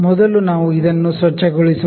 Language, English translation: Kannada, So, let us clean first